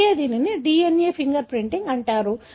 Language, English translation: Telugu, That’s why it is called as DNA finger printing